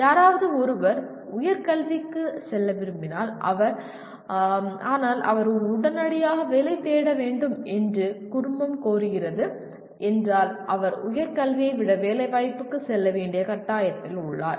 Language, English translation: Tamil, If somebody wants to go for a higher education but the family requires that he has to go and immediately seek a job, then he is forced to go for placement rather than higher education